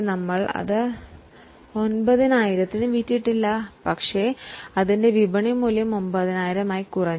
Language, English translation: Malayalam, We have not yet sold the particular item at 9,000 but its market value has come down to 9,000